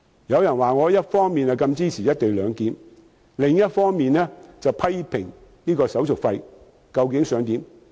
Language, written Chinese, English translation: Cantonese, 有人說我一方面支持"一地兩檢"，另一方面卻批評手續費。, Some people said I support the co - location arrangement on the one hand while criticizing the handling fee on the other